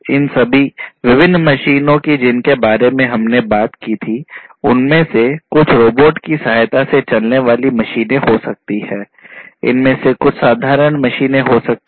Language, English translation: Hindi, All these different machines that we talked about some of these may be robot assisted machines; some of these could be simple machines